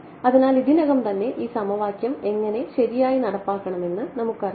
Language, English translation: Malayalam, So, we already, so we know how to implement this equation right